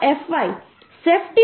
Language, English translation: Gujarati, 4fy factor of safety we are taking 2